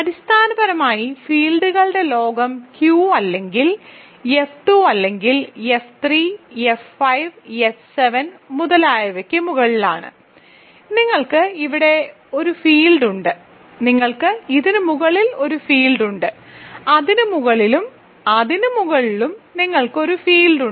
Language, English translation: Malayalam, So, basically the world of fields sits above either Q or F 2 or F 3, F 5, F 7 and so on, so you have a fields here, you have a fields above this, you have a fields above this and above this above this and so on